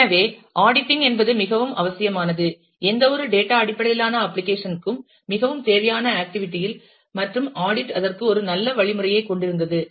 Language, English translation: Tamil, So, auditing is necessarily a very required, in a very required activity for any data based application and audit trail had a good mechanism for that